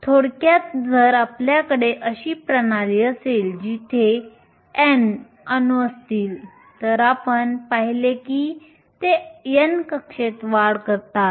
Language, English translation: Marathi, Briefly if you have a system where there are N atoms we saw that they give raise to N orbitals